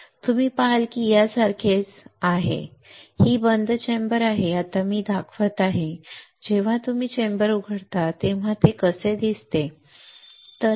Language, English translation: Marathi, You see this is similar to this one alright, this is the closed chamber now what I am showing is when you open the chamber how it looks like alright